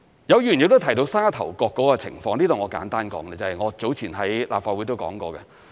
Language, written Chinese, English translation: Cantonese, 有議員亦提到沙頭角的情況，我在這裏簡單說，我早前在立法會亦曾說過。, Some Members have also mentioned the situation of Sha Tau Kok I will give a brief response here because I have talked about this topic at the Legislative Council earlier on